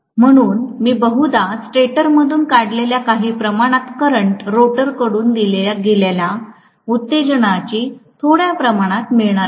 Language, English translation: Marathi, So I am probably going to have basically some amount of current drawn from the stator, some amount of excitation given from the rotor